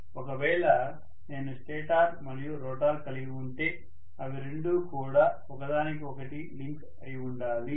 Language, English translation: Telugu, If I have a stator and if I have a rotor, both of them have to be linked with each other